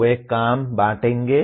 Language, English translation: Hindi, They will share the work